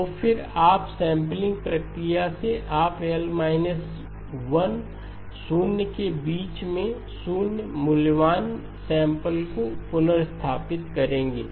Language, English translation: Hindi, So then the up sampling processes you will restore 0 valued samples in between L minus 1 zeros